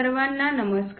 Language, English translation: Marathi, Hello everyone